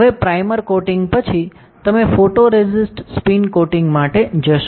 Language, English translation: Gujarati, So, now after primer coating, you will go for photoresist spin coating